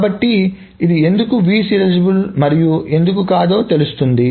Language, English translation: Telugu, So that is why this was view serializable while this was not